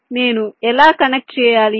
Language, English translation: Telugu, so how do i connect